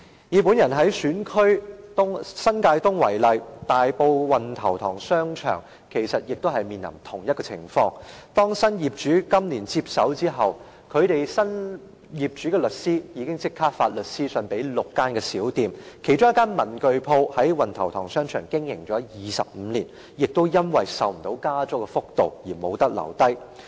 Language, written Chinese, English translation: Cantonese, 以我的選區新界東為例，大埔運頭塘商場亦面臨同一個情況，當新業主今年接手後，新業主的律師立即發律師信給6間小店，其中一間文具店在運頭塘商場經營了25年，因為負擔不了加租幅度而不能留下。, Wan Tau Tong Shopping Centre in Tai Po has faced the same situation . After the new owner took over the Centre this year the lawyer of the new owner immediately issued a lawyers letter to six small shops one of which was a stationery shop which had operated in Wan Tau Tong Shopping Centre for 25 years . Since it could not afford the increase in rent it was unable to stay